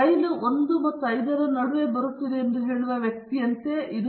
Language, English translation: Kannada, It is like a person saying that the train will be coming between 1 and 5